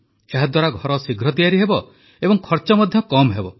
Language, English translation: Odia, By this, houses will get built faster and the cost too will be low